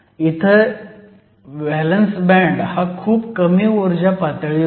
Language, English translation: Marathi, Here the valence band is at a much lower energy level